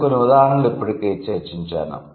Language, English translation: Telugu, And then the examples I have already discussed